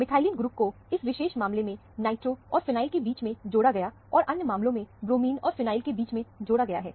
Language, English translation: Hindi, The methylene group is added between the nitro and the phenyl, in this particular case, and between the bromine and the phenyl, in the other case